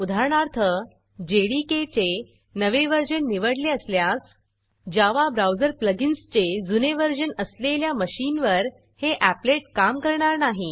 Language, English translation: Marathi, For example, if you choose the latest version of JDK, then the applet might not run on machines that have an older version of the Java browser plugin